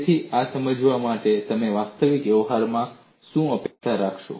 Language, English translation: Gujarati, So, this explains what you would expect in actual practice